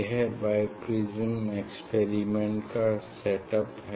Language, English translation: Hindi, this is the setup for Bi Prism experiment